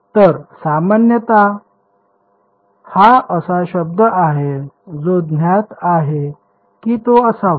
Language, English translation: Marathi, So, typically this is a term which is known it has to be